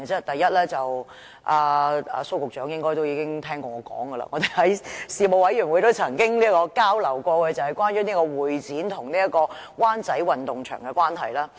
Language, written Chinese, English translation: Cantonese, 第一，蘇局長應該也曾聽說過的了，我在事務委員會也曾提及，就是關於香港會議展覽中心及灣仔運動場的問題。, First I will discuss the issue concerning the Hong Kong Convention and Exhibition Centre HKCEC and the Wan Chai Sports Ground which I already mentioned in the Panel and Secretary Gregory SO should have heard of it